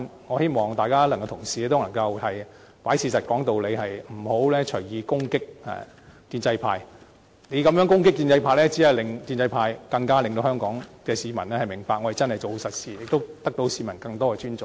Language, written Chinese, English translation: Cantonese, 我希望同事能夠看事實說道理，不要隨意攻擊建制派，你這樣攻擊建制派，只會令香港市民更加明白建制派真的是做實事，亦會獲得市民更多的尊重。, I hope that Members will sensibly look at the facts instead of assailing the pro - establishment camp at will . The way you assail the pro - establishment camp will only make people realize that pro - establishment Members are doing real work and thus show greater respect for them